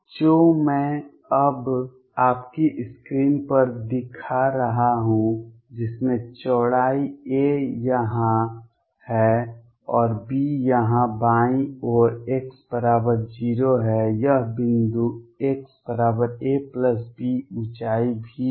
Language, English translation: Hindi, What I am showing now on your screen with widths being a here and b here on the left is x equals 0, this point is x equals a plus b the height is V